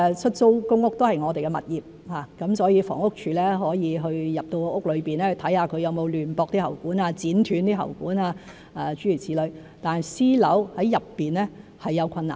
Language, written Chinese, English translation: Cantonese, 出租公屋是我們的物業，房屋署可以進入屋內看看有沒有亂駁喉管、剪斷喉管諸如此類，但私樓內是有困難。, On the other hand the Housing Department can enter a public rental housing flat which is a government property to see whether there are improper connection and cutting of pipes . But it will be difficult for us to do so in a private building